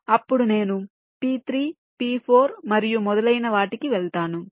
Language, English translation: Telugu, then i move to p three, p four and so on